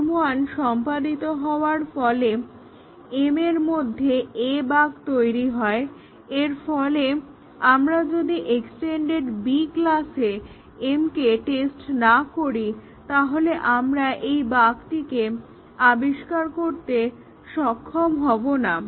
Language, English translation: Bengali, So, the execution of the m 1 causes the A bug in m and therefore, unless we test m here in the extended class B, we would not be able to discover that bug